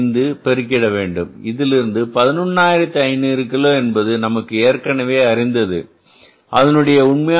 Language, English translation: Tamil, 5 minus 11500 kgs which is given to us already and the actual price is 2